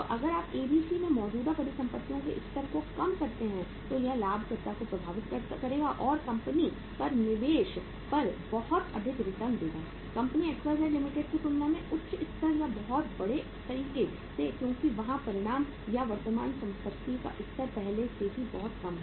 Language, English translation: Hindi, So if you reduce the level of current assets in ABC it will impact the profitability or return on investment on the of the company at a much higher level or in a much bigger way as compared to the company XYZ Limited because there the magnitude or the level of current assets is already very very low